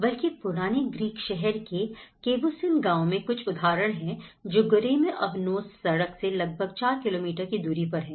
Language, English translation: Hindi, In fact, there are some of the case studies in Cavusin village in the old Greek town which is about 4 kilometres from the Goreme Avanos road